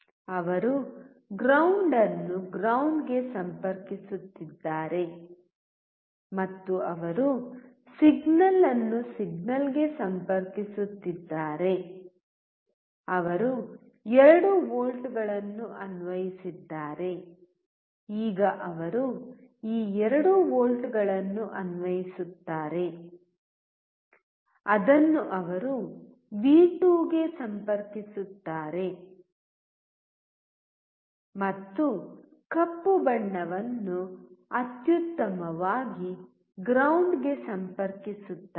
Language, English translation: Kannada, He is connecting the ground to ground and he is connecting the signal to signal, whatever he has applied 2 volts, now he will apply these 2 volts which you can see he is connecting to the V2 and black one to ground excellent